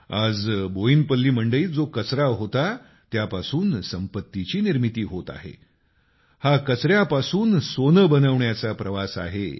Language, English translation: Marathi, Today in Boinpalli vegetable market what was once a waste, wealth is getting created from that this is the journey of creation of wealth from waste